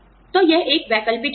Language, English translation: Hindi, So, these are, some of the alternatives